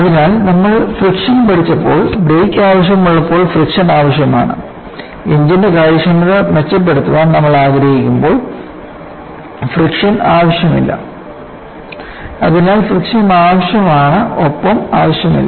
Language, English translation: Malayalam, So, when you had learned friction, friction was necessary when you want to have breaks; friction is not necessary when you want to improve the efficiency of the engine; so, the friction is needed as well as not needed